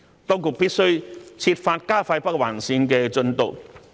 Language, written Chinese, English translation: Cantonese, 當局必須設法加快北環綫進度。, The authorities must try to speed up the progress of the Northern Link